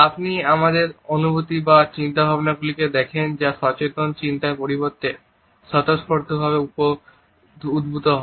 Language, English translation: Bengali, You see emotions our feelings or thoughts that arise spontaneously instead of conscious thought